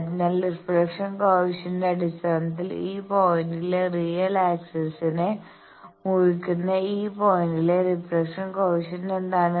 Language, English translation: Malayalam, So, in terms of reflection coefficient, what is the reflection coefficient at this point where it is cutting the real axis this point